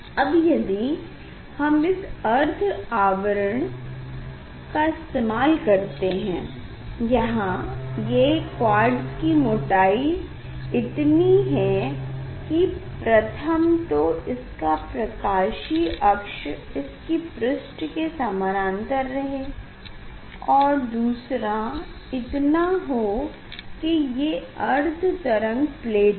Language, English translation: Hindi, now if you use this half shade; here this quartz thickness, here quartz thickness one is the condition is that this optics axis will be parallel to the surface, another thickness of this plate is such that it is half wave plate, half wave plate